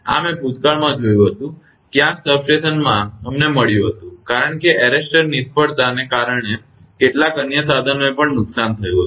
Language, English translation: Gujarati, This I have seen in the past, somewhere in the substation we found due to that due to that arrester failure some other equipment also got damaged